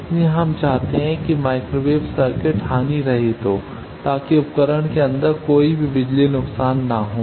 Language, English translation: Hindi, So, we want the microwave circuit to be lossless so that no power loss inside the device